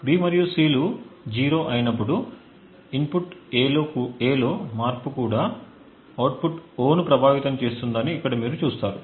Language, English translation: Telugu, So over here you see that when B and C are 0s a change in input A also affects the output O